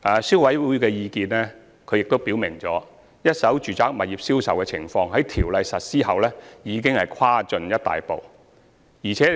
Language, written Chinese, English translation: Cantonese, 消委會表示，一手住宅物業銷售的情況在《條例》實施後已有大大改善。, CC stated that the sales of first - hand residential properties have already been significantly improved upon the implementation of the Ordinance